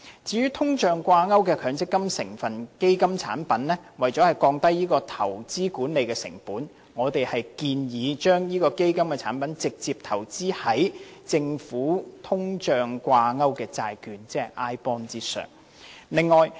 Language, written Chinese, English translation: Cantonese, 至於與通脹掛鈎的強積金成分基金產品，為了降低投資管理成本，我們建議將這類基金產品直接投資於政府的通脹掛鈎債券，即 iBond。, As for the MPF constituent fund linked to inflation rates in order to lower investment and management costs we propose that this type of fund product should be directly invested in bonds linked to inflation rates operated by the Government that is iBond